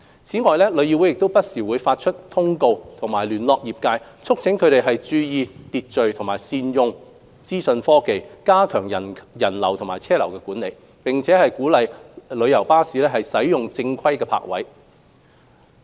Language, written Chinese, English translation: Cantonese, 此外，旅議會不時發出通告及聯絡業界，促請他們注意秩序和善用資訊科技加強人流及車流管理，並鼓勵旅遊巴士使用正規泊位。, Besides TIC issues notices and liaises with the trade from time to time to urge them to observe order and use information technology in strengthening control on visitor and vehicular flow and to encourage coaches to use proper parking spaces